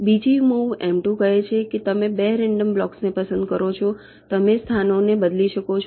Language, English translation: Gujarati, the second move, m two, says you pick up two random blocks, you interchange the locations